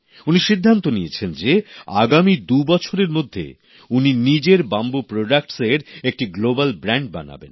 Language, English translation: Bengali, He has decided that in the next two years, he will transform his bamboo products into a global brand